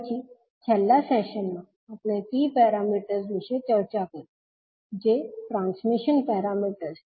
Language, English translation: Gujarati, And then in the last session we discussed about the T parameters that is transmission parameters